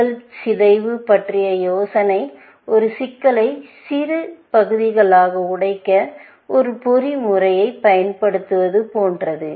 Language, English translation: Tamil, The idea of problem decomposition is something, like using a mechanism to break up a problem into smaller parts